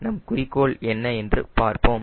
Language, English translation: Tamil, right, let us see what is our aim